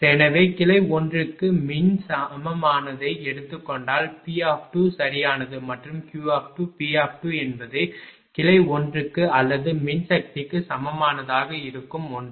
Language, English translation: Tamil, So, if you take electrical equivalent of branch one then what is P 2 right and what is Q 2 P 2 will be for branch 1 or electrical equivalent of branch 1